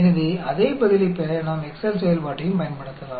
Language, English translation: Tamil, So, we can do the same thing here, using the Excel function